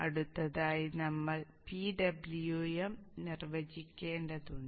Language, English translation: Malayalam, Next we have to define the PWM